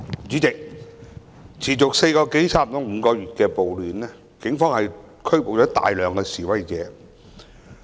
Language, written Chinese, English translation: Cantonese, 主席，持續接近5個月的暴亂，警方拘捕了大量示威者。, President the Police have arrested a large number of demonstrators in the riots that have dragged on for nearly five months